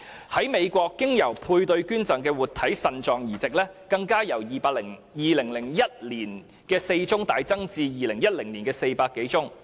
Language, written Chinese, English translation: Cantonese, 在美國，經由配對捐贈進行的活體腎臟移植更由2001年的4宗，大幅增加至2010年的400多宗。, In the United States the number of living donor kidney transplants through the paired arrangement even shot from 4 cases in 2001 to more than 400 cases in 2010